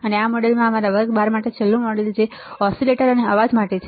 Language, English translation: Gujarati, And this module is a last model for our class 12, which is oscillators and noise right